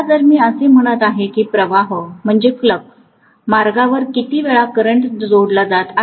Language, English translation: Marathi, Now if I am saying that along the flux path how many times the current is being linked